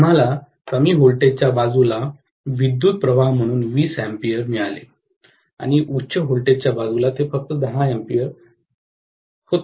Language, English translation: Marathi, We got 20 amperes as the current on the low voltage side and on the high voltage side it was only 10 amperes